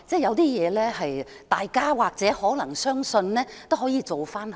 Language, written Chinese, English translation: Cantonese, 有些事情若大家或許可能相信，其實也可有所改善。, If there is anything that people may believe then improvement is indeed possible